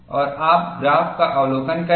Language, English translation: Hindi, And you have a graph